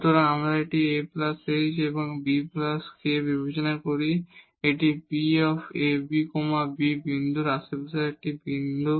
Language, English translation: Bengali, So, we consider this a plus h and b plus k this is a point in the neighborhood of the point a b